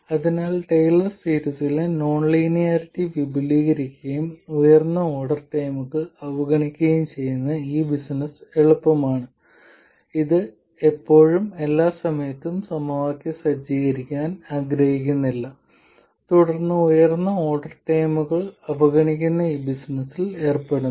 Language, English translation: Malayalam, So while this business of expanding the non linearity in Taylor series and neglecting higher order terms this is easy, we still don't want to set up the equations every time and then go about this business of neglecting higher order terms